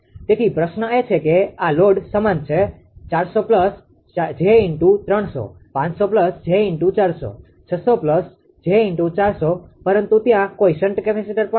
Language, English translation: Gujarati, So, question question is that this loads are same this loads are same 400 plus j 300, 500 plus j 400, 600 plus j 400, but there is no shunt capacitor also